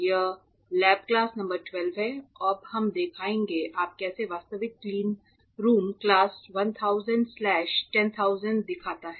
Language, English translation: Hindi, This is lab class number 12, extremely important lab class, because now we will be showing it to you how the actual Cleanroom class 1000 slash 10000 looks like ok